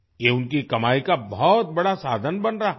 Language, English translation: Hindi, This is becoming a big source of income for them